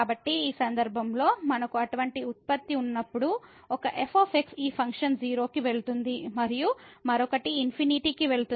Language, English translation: Telugu, So, in this case when we have such a product where one this function goes to 0 and the other one goes to infinity